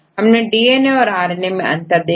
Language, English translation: Hindi, So, what is the difference between a DNA and RNA